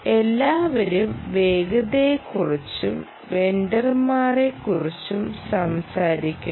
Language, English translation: Malayalam, everybody talks about speed nd, everybody talks about vendors